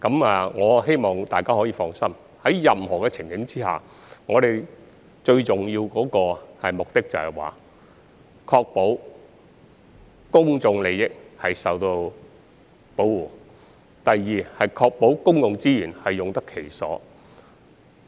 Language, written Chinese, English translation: Cantonese, 我希望大家可以放心，無論在任何情景下，最重要的目的是，第一，確保公眾利益得到保護；第二，確保公共資源用得其所。, I hope that Members can rest assured that in any event the most important objectives are to ensure that firstly public interest is protected and secondly public resources are properly used